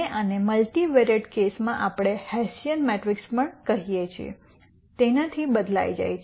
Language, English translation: Gujarati, And this is replaced by what we call as a hessian matrix in the multivariate case